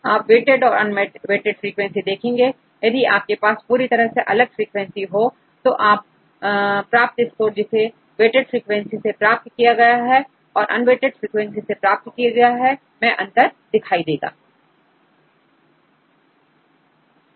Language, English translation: Hindi, You can see the correlation between the unweighted and the weighted frequencies if you use completely different sequences then you can see a difference between the score obtained with the weighted frequencies as well as the unweighted frequencies